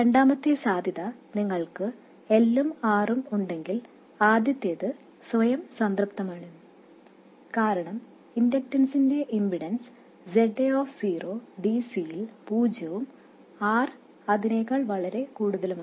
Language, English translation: Malayalam, The second possibility is that you have L and R, then the first one is automatically satisfied because ZA of 0, the impedance of an inductor at DC is 0 and R will be much more than that